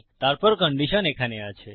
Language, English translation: Bengali, Then a condition in here